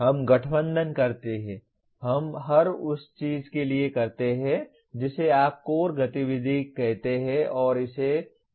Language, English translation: Hindi, We combine, we do this for every what do you call core activity and call it course or project